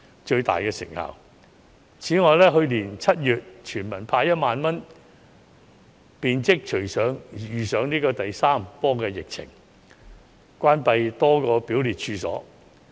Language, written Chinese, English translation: Cantonese, 此外，政府在去年7月向全體市民派發1萬元後，隨即遇上第三波疫情，多個表列處所關閉。, In addition the third wave of the epidemic which came immediately after the Government handed out 10,000 to each eligible Hong Kong resident in July last year has again led to the closure of many scheduled premises